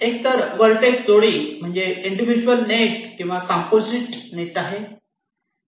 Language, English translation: Marathi, either this pair of verities that may correspond to an individual net or a composite net